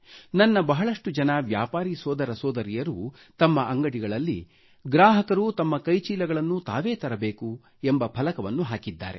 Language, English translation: Kannada, Many of my merchant brothers & sisters have put up a placard at their establishments, boldly mentioning that customers ought to carry shopping bags with them